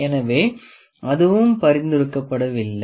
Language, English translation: Tamil, So, that is also not recommended